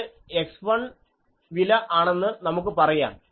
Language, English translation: Malayalam, Now, the question is how to select x 1